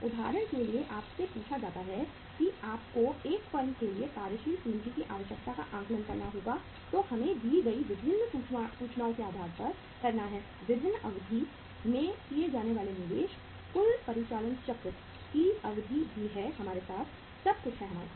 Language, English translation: Hindi, For example you are asked that you have to assess the working capital requirement for a firm depending upon the different information given to us that is the duration given to us, investment to be made at the different duration, the total operating cycle duration is also with us, everything is with us